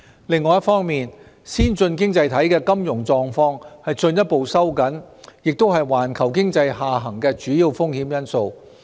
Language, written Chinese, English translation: Cantonese, 另一方面，先進經濟體的金融狀況進一步收緊亦是環球經濟下行的主要風險因素。, Meanwhile the further tightened financial condition of the advanced economies is also a key factor for the downside risks to the global economy